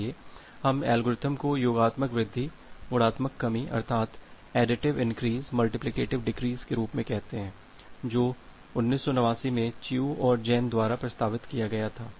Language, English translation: Hindi, So, we call it the algorithm as additive increase multiplicative decrease which was proposed by Chiu and Jain in 1989